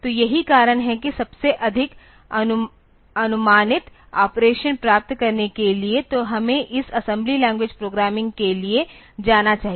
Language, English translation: Hindi, So, that is why for getting the most predictable operation; so, we should go for this assembly language programming